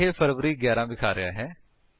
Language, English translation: Punjabi, Here it is showing February 11